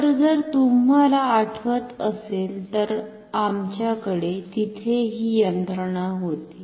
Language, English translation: Marathi, So, if you recall we had this mechanism there